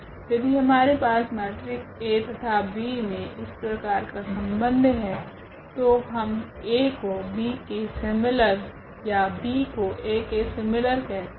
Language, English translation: Hindi, If we have this relation between the between the matrix A and B, then we call this P is similar to the matrix A or A is similar to the matrix B